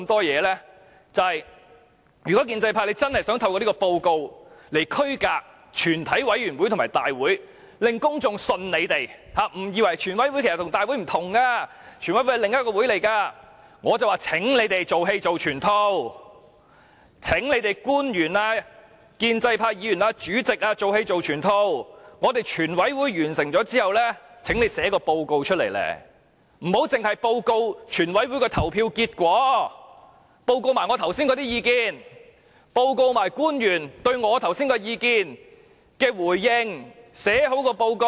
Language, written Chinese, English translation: Cantonese, 如果建制派真的想透過這份報告來區分全委會和大會，令公眾相信他們，誤以為全委會和大會不同，全委會是另一個會議，便請官員、建制派議員及主席"做戲做全套"，全委會完成審議後，請他們撰寫報告，不要只報告全委會的投票結果，亦要報告我剛才的意見，報告官員對我剛才的意見的回應。, If the pro - establishment camp really wants to differentiate the committee from the Council through this report and to make the public believe that the committee is separated from the Council then public officers pro - establishment Members and the President should complete the show by writing a report upon the conclusion of the proceedings in the committee